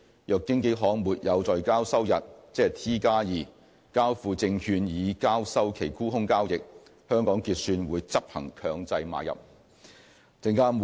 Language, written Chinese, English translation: Cantonese, 若經紀行沒有在交收日交付證券以交收其沽空交易，香港結算會執行強制買入。, If a broker fails to deliver securities to settle its short transactions on the settlement day ie . T2 HKSCC will execute compulsory buy - in